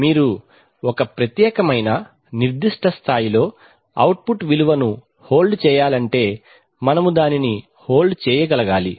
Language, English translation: Telugu, It means that if you want to hold a particular, hold the output at a particular level we should be able to hold it